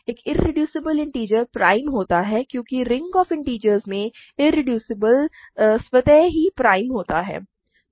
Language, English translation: Hindi, An irreducible integer is prime because in the ring of integers irreducible automatically implies prime